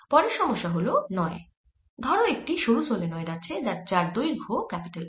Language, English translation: Bengali, next problem number nine: consider a thin solenoid of length l